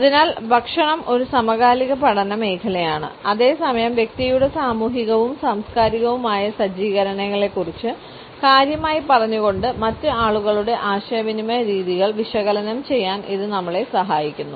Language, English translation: Malayalam, So, food is an increasing lens at the same time it helps us to analyse the communication patterns of the other people by telling us significantly about the social and cultural setups of the individual